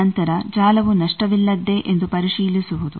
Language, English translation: Kannada, Then the checking of whether network is lossless